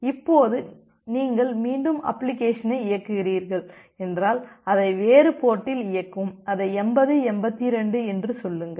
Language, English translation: Tamil, Now if you are running the application again then run it in a different port say 8082